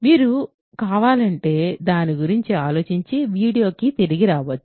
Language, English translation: Telugu, So, if you want you can think about it and come back to the video